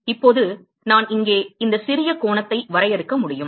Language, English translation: Tamil, Now I can define this small angle here